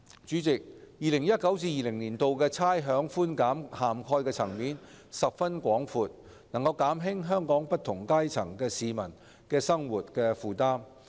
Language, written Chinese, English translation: Cantonese, 主席 ，2019-2020 年度的差餉寬減涵蓋層面十分廣闊，能減輕香港不同階層市民的生活負擔。, President given the wide coverage of the 2019 - 2020 rates concession the living burdens of people of different strata in Hong Kong can be relieved